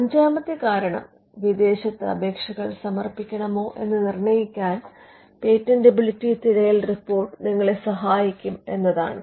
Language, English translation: Malayalam, The fifth reason could be that the patentability search report can help you to be determine whether to file foreign applications